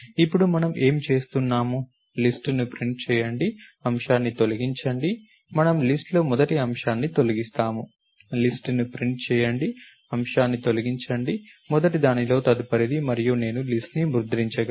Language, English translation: Telugu, Then, what are we doing, assign print the list, delete item, we delete the first item in the list, print the list, delete item, the next of the first and I can print the list